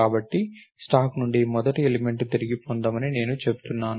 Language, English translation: Telugu, So, I say retrieve the first element from the stack